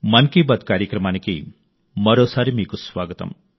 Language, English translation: Telugu, Welcome once again to Mann Ki Baat